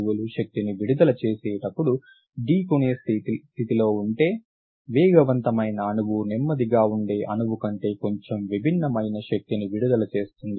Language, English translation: Telugu, If molecules are colliding when they emit energy, a speeding molecule emits a slightly different energy than a slower molecule